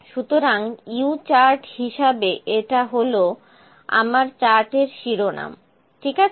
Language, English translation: Bengali, So, this is my if it is chart title, this is my U chart, ok